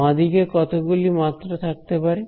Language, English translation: Bengali, How many dimensions is the left hand side being